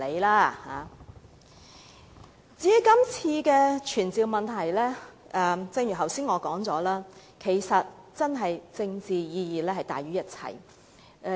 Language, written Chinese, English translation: Cantonese, 關於今次的傳召議案，正如我剛才所說，是政治意義大於一切。, As for this summoning motion its political significance is as I said just now overriding